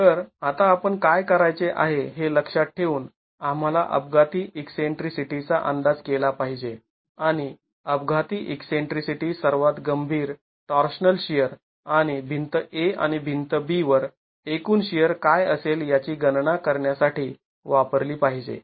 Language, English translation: Marathi, So, keeping in mind what we are supposed to do now, we are supposed to estimate the accidental eccentricity and use the accidental eccentricity to estimate the most severe torsional shear and calculate what the total share on wall A and WALB are going to be